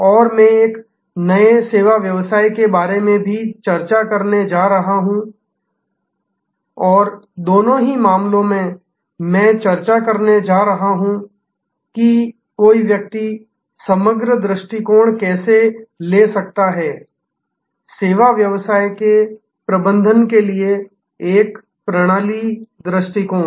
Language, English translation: Hindi, And I am also going to discuss about a new service business and in both cases, I am going to discuss, how one can take a holistic approach, a systems approach to managing the services business